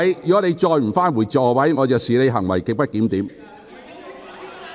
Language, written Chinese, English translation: Cantonese, 如你仍不返回座位，我會視之為行為極不檢點。, If you still fail to do so I will regard such conduct as grossly disorderly